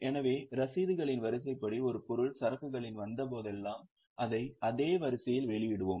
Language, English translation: Tamil, So, as per the chronology of the receipts, whenever an item has come in the inventory, we will issue it in the same sequence